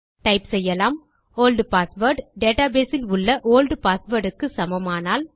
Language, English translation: Tamil, Lets type if the old password is equal to the old password inside the database